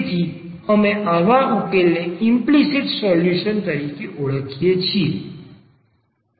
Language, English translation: Gujarati, So, we call such solution as implicit solution